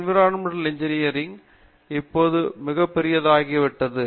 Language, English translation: Tamil, Environmental engineering has become very big now